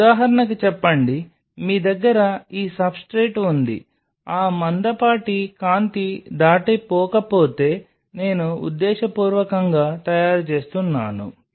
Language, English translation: Telugu, Now say for example, you have this substrate through which I am just purposefully making if that thick the light does not pass